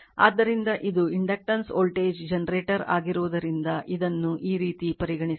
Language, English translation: Kannada, So, that is why it is inductance voltage generator this way you have to you consider it right